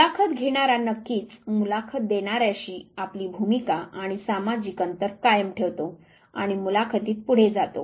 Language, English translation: Marathi, The interviewer of course, maintains their role and social distance from the interviewee and then you go ahead with this very interview